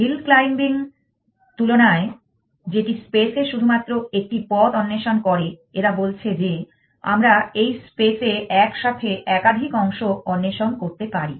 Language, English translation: Bengali, Instead of hills claiming which explore only one path in the space they are saying we are allowed to explore more than one part simultaneously this space